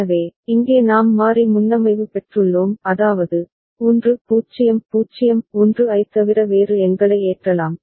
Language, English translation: Tamil, So, here we have got variable preset; that means, we can load numbers other than 1 0 0 1